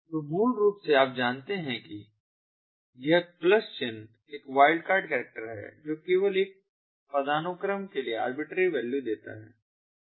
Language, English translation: Hindi, this plus sign is a wildcard character which only allows arbitrary values for one hierarchy